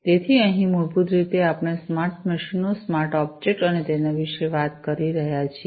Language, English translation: Gujarati, So, here basically we are talking about smart machines, smart objects and so on